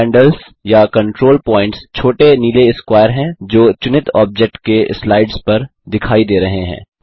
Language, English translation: Hindi, Handles or control points, are the small blue squares that appear on the sides of the selected object